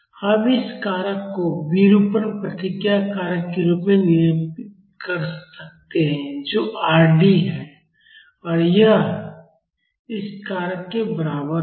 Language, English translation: Hindi, We can denote this factor as the deformation response factor which is Rd and this is equal to this factor